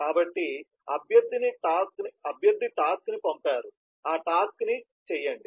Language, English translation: Telugu, so requestor has sent the task, just do that task